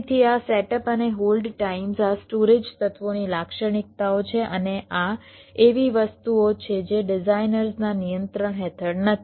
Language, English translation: Gujarati, right so this setup and hold times, these are characteristics of the storage elements and these are something which are not under the designers control